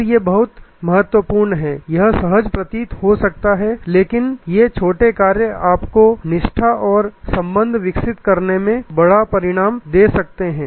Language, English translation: Hindi, And these are very important this may appear to be innocuous, but these small actions can give you this big result in developing loyalty and relationship